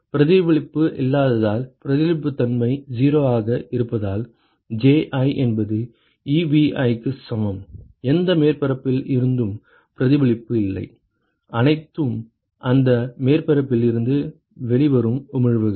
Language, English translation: Tamil, Because there is no reflection, note that this is because reflectivity is 0 that is why Ji is equal to Ebi there is no reflection from any surface it is all the emission that from that surface